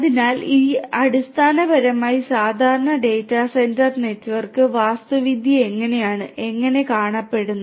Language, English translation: Malayalam, So, this is basically typical data centre network, architecture how it is how it looks like